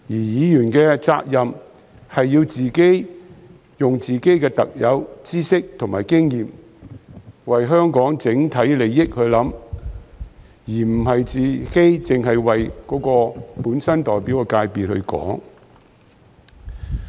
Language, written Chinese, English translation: Cantonese, 議員的責任是要利用自己的特有知識和經驗為香港整體利益設想，而非只為自己所代表的界別發聲。, It is the responsibility of Members to make use of our special knowledge and experiences to work for the overall interests of Hong Kong but not to speak only for the constituency they represent